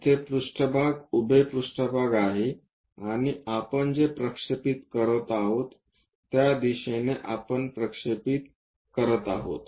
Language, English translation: Marathi, Here the plane is a vertical plane and what we are projecting is in this direction we are projecting